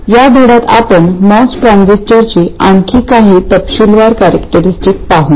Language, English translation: Marathi, In this lesson we will look at the characteristics of the mass transistor in some more detail